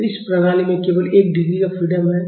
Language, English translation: Hindi, So, this system has only one degree of freedom